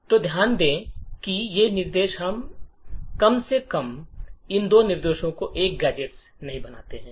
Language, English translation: Hindi, So, note that these instructions atleast these two instructions do not form a gadget